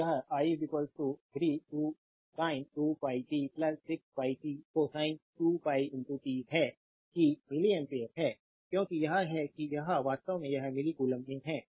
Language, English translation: Hindi, So, it is i is equal to 3 sin 2 pi t plus 6 pi t cosine of 2 pi t that is milli ampere because it is it is is actually it is in milli coulomb